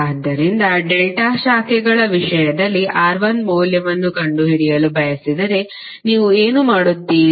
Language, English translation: Kannada, So if you want to find out the value of R1 in terms of delta branches, what you will do